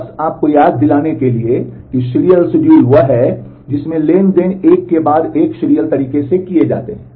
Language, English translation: Hindi, Just to remind you serial schedule is one where the transactions are happened one after the other in a serial manner